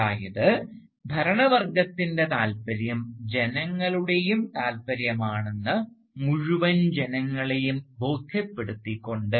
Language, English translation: Malayalam, That is, by convincing the entire population that the interest of the ruling class is the interest of the entire population